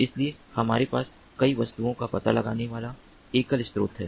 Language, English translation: Hindi, so we have single source detecting multiple objects